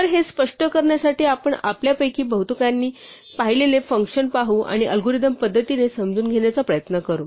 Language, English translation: Marathi, So to illustrate this let us look at the function which most of us have seen and try to understand the algorithmically